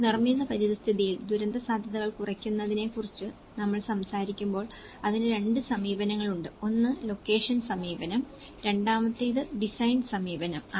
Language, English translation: Malayalam, When we talk about the reducing disaster risks in the built environment, there are 2 approaches to it; one is the location approach, the second one is the design approach